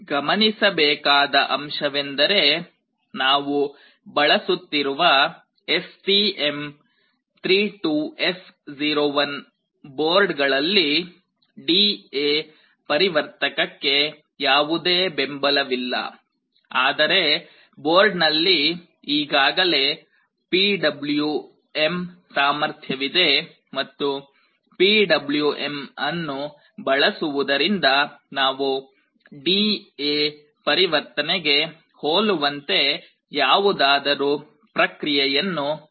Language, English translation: Kannada, The point to note is that for the STM32F01 board that we are using, this board does not have any support for D/A converter, but I told you the board already has PWM capability and using PWM also we can do something which is very much similar to D/A conversion